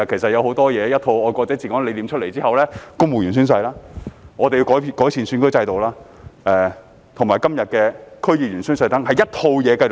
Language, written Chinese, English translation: Cantonese, 在"愛國者治港"理念出台後，要落實公務員宣誓、完善選舉制度及今天的區議員宣誓，全部都在一套制度之下。, After the concept of patriots administering Hong Kong was put forward it is necessary to implement the oath - taking requirements for civil servants the improved electoral system and todays oath - taking requirements for DC members and place them under one system